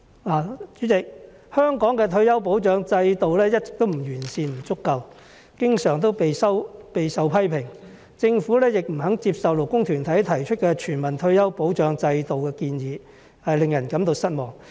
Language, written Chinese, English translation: Cantonese, 代理主席，香港的退休保障制度一直不完善、不足夠，經常備受批評；政府亦不肯接受勞工團體提出的全民退休保障制度的建議，令人感到失望。, Deputy President the persistently imperfect and inadequate retirement protection system in Hong Kong has often drawn heavy criticism and it is disappointing that the Government has refused to accept the proposal put forward by labour organizations to introduce a universal retirement protection system